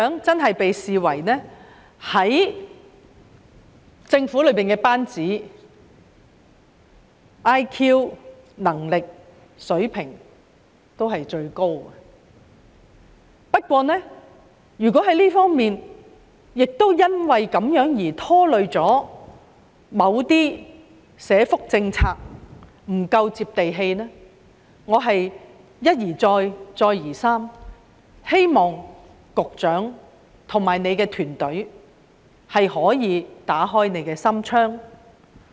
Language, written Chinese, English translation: Cantonese, 在政府班子中，局長的 IQ、能力被視為最高，但可能因此而拖累某些社福政策不夠"接地氣"。我一而再，再而三希望局長及其團隊可以打開心窗。, Among members of the Government the Secretary is considered to have the highest IQ and ability but this may result in certain social welfare policies not being that down - to - earth